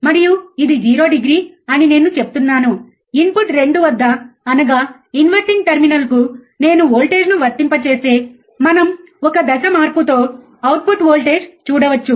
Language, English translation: Telugu, And I say this is 0 degree, if I apply voltage at input 2 that is inverting terminal, what we can see we can see a voltage the output with a phase change, right